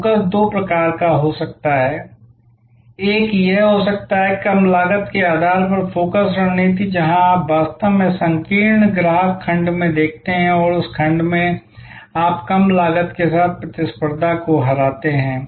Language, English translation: Hindi, The focus can be of two types, one can be that focus strategy based on low cost, where you actually look at in narrow customer segment and in that segment you beat the competition with the lower cost